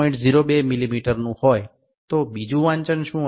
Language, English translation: Gujarati, 02 mm what will be the second reading